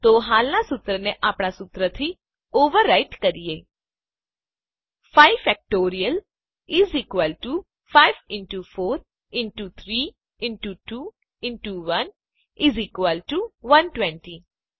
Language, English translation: Gujarati, So let us overwrite the existing formula with ours: 5 Factorial = 5 into 4 into 3 into 2 into 1 = 120